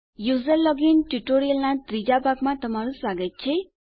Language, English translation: Gujarati, Welcome to the 3rd part of our User login tutorial